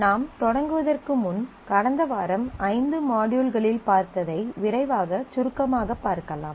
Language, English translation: Tamil, Before we start let me quickly recap what we did last week in the five modules